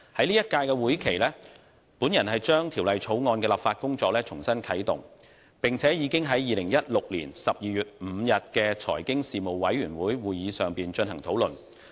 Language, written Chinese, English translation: Cantonese, 在本屆會期，我把《條例草案》的立法工作重新啟動，並且已將之呈送予財經事務委員會，於2016年12月5日的會議上進行討論。, In the current term I have relaunched the legislative process of the Bill . The Bill was submitted to the Panel on Financial Affairs for discussion at its meeting on 5 December 2016